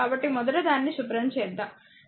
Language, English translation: Telugu, So, let me clean it first , right so, your i 3 plus 5 i 1 is equal to your i 1